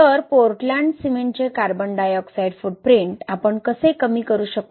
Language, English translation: Marathi, So, how can we reduce carbon dioxide footprint of Portland cement